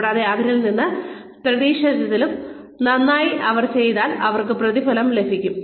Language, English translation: Malayalam, And, if they done, better than, what was expected of them, then they are rewarded